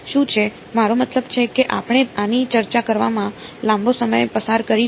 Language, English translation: Gujarati, What is so, I mean we have going to spent a long time discussing this